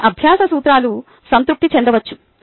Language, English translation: Telugu, few learning principles may be satisfied